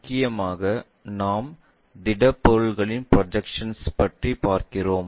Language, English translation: Tamil, Mainly, we are looking at Projection of Solids